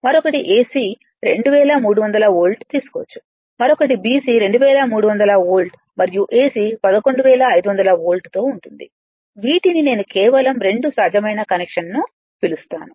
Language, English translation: Telugu, Another you can take AC 2300 volt, another is BC, BC 2300 volt and AC will be 11500 volt, just I you are what you call just 2 possible connection possible right with these